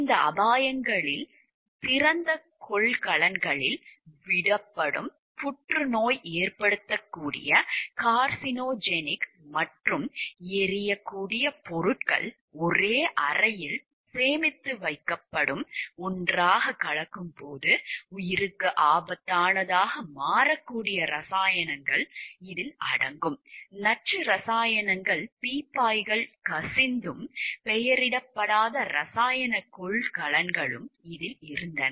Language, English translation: Tamil, These hazards included carcinogenic and flammable substances left in open containers, chemicals that can become lethal when mixed together being stored in the same room; like, and there were barrels of toxic chemicals that were leaking and unlabeled containers of chemicals